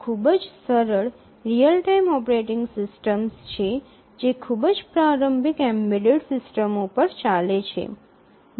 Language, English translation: Gujarati, So, this is the simplest real time operating system run on the most elementary embedded systems